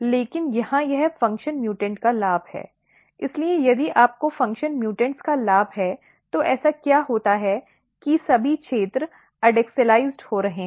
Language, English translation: Hindi, But here it is a gain of function mutant so, if you have gain of function mutants then what happens that the all the regions are getting adaxialized